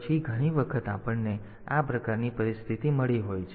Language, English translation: Gujarati, So, many times we have got this type of situation